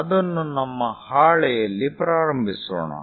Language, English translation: Kannada, Let us begin it on our sheet